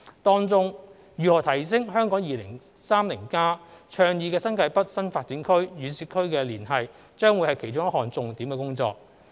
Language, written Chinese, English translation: Cantonese, 當中，如何提升《香港 2030+》倡議的新界北新發展區與市區的連繫將會是其中一項重點工作。, Amongst the priorities of this study is how to enhance the connectivity between the New Territories North new development area advocated in Hong Kong 2030 and the urban areas